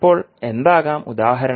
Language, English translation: Malayalam, Now, what can be the example